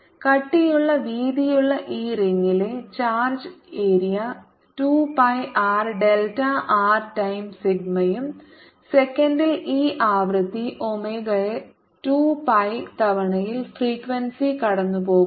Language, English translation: Malayalam, the charge in this ring of thick width delta r is going to be its area: two pi r, delta r times sigma and per second this charge passes omega over two pi times on the frequency times